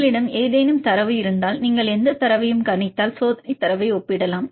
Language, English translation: Tamil, Then if you have any data then if you predict any data you can compare the experimental data because experimental data is available